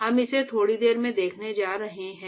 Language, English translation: Hindi, We are going to see that in a short while